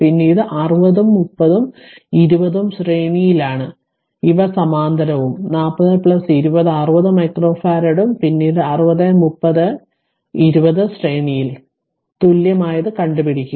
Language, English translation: Malayalam, Then 60 30 and 20 are in series first these are parallel and you add them up 40 plus 20 60 micro farad and then 60 30 and 20 they are in series; that means, you have to find out the equivalent one